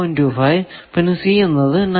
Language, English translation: Malayalam, 25, c is 9